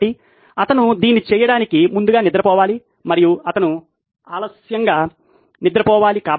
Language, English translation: Telugu, So he has to go to sleep early to do this and he has to go to sleep late